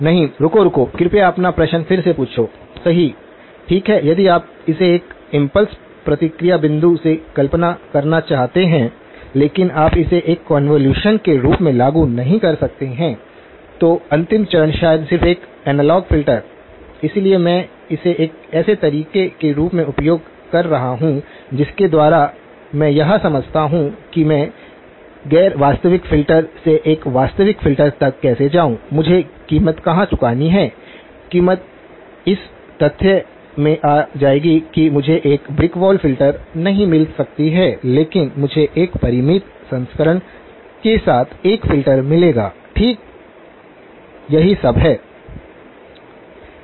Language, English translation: Hindi, No, wait, wait, please ask your question again, correct, well, if you want to visualize it from an impulse response point of view, but you may not implement it as a convolution at all, the last stage maybe just an analog filter, so I am using this as a way by which to explain how do I go from a non realizable filter to a realizable filter, where do I have to pay the price; the price will come in the fact that I cannot get a brick wall filter but I will get a filter with a finite transition, right that is all